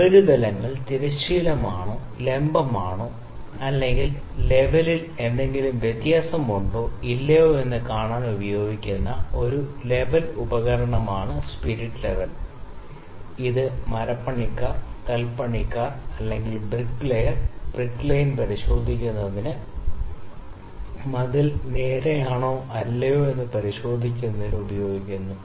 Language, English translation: Malayalam, Spirit level is an instrument or it is a simply level or an instrument that is used to see whether the surfaces are horizontal or vertical, or is there any difference in the level or not; it is used by carpenters, masons or the for checking the bricklayer brick line, that is the wall getting straighten or not, we can you might have seen that